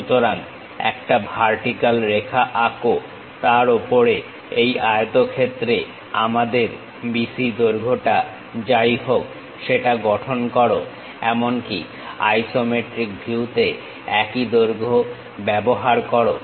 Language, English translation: Bengali, So, draw a vertical line, on that, construct whatever BC length we have it on this rectangle even on the isometric view use the same length